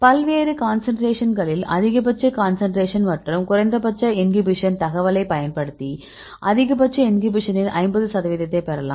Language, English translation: Tamil, So, you get the maximum concentration inhibition and the minimal inhibition, at various concentrations and using this information we can a get the 50 percent of maximum inhibition right